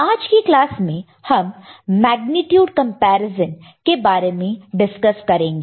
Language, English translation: Hindi, In today’s class, we shall look at Magnitude Comparator